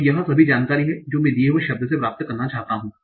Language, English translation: Hindi, So this is all the information that I want to get from the given word